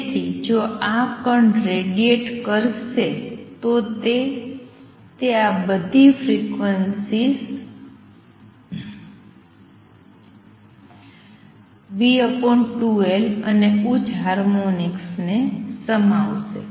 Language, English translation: Gujarati, So, if this particle what to radiate it will contain all these frequencies v over 2L and higher harmonics